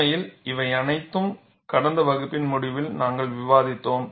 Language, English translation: Tamil, In fact, all of this we had discussed towards the end of last class, this is only for recapitulation